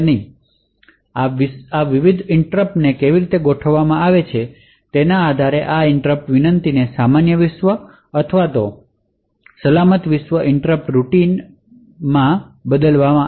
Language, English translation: Gujarati, So, based on how these various interrupts are configured this interrupt request would be either channeled to the normal world interrupt service routine or the secure world interrupt service routine